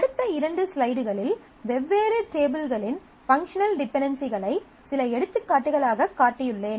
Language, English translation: Tamil, So, in the next couple of slides, I have shown few examples of functional dependencies of different tables